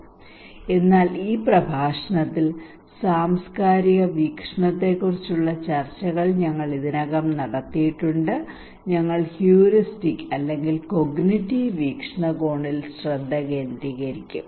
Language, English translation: Malayalam, So we already had the discussions on cultural perspective here in this lecture we will focus on heuristic or cognitive perspective okay